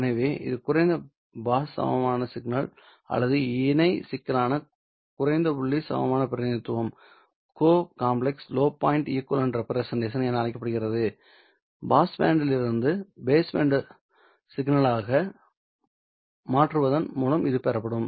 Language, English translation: Tamil, So, this is called as complex low pass equivalent signal or complex low point equivalent representation, which will be obtained by down converting from pass band to base band signals